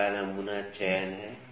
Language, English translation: Hindi, First is the sample selection